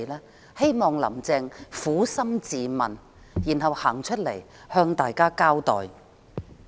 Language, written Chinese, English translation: Cantonese, 我希望"林鄭"撫心自問，然後走出來向大家交代。, I hope Carry LAM will ask herself honestly about this and come forward to explain the case